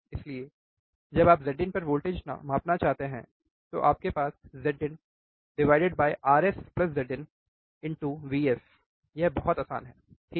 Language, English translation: Hindi, So, when you want to measure a voltage across Z in, you have Z in Rs plus Z in into vs it is very easy, right